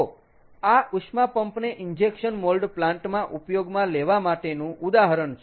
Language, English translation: Gujarati, ok, so this is an example for use of a heat pump in an injection molding plant